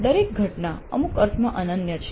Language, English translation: Gujarati, Every instance is unique in some sense